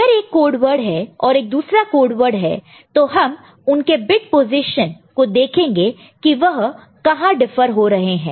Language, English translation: Hindi, If there is one code word and there is another code word, we look at the bit positions where they differ